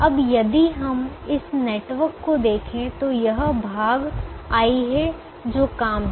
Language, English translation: Hindi, now here, if we look at this network, this, this part, is the i, the jobs